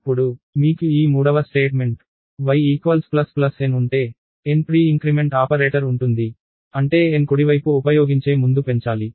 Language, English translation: Telugu, Then, if you have this third statement y equals plus plus n, n has a pre increment operator, which means n should be incremented before the use in the right hand side